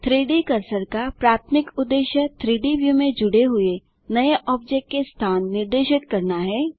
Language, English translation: Hindi, The primary purpose of the 3D Cursor is to specify the location of a new object added to the 3D scene Go to ADD